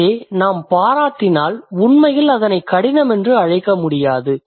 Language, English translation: Tamil, So, if we appreciate we can't really call it difficult